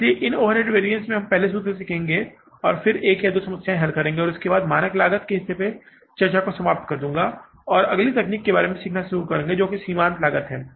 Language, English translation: Hindi, So, these overhead variances first we will learn the formulas and then we will solve one or two problems and after that I will close the discussion on the standard costing part and next technique we will start learning about is the marginal costing